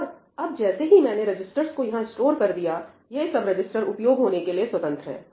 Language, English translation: Hindi, And now, once I store the registers over here, these registers are free for use